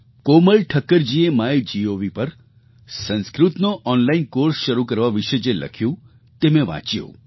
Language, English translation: Gujarati, I read a post written on MyGov by Komal Thakkar ji, where she has referred to starting online courses for Sanskrit